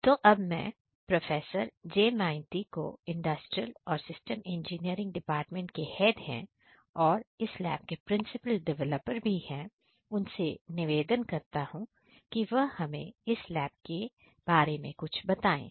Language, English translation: Hindi, So, I now request Professor J Maiti who is currently the head of Industrial and Systems Engineering department and also the principal developer of this particular lab to say a few words describing this lab